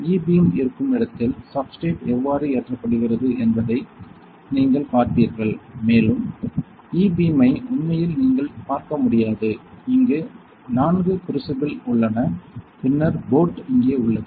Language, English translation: Tamil, And you will see how the substrate is loaded where is the E beam and you cannot see E beam actually, but otherwise crucible right there are 4 crucibles and then where is the boat right